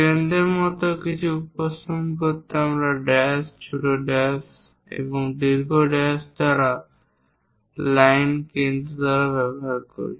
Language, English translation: Bengali, To represents something like a center we use center line by dash, small dash and long dash lines